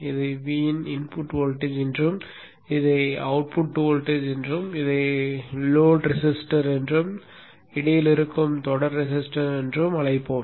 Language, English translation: Tamil, We will call this one as V in, the input voltage, we'll call this as the output voltage, we will call this as the load resistor, and we will call this as the series resistance which is in between